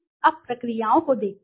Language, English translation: Hindi, Now, let see the processes